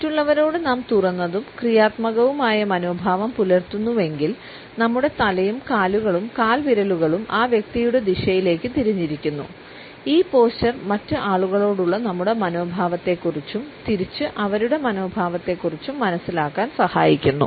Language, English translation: Malayalam, If we hold and open and positive attitude towards other people, our feet our head and torso points to the same person in a single clue and this position gives us an understanding of the attitude of other people towards us and vice versa